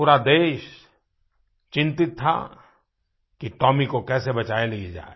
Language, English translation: Hindi, The whole country was concerned about saving Tomy